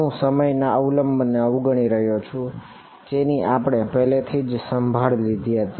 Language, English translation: Gujarati, I am ignoring the time dependency we have already taken care of that